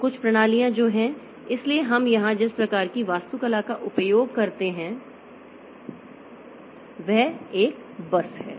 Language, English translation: Hindi, So, some systems what they have is that so the type of architecture that we have used here is a bus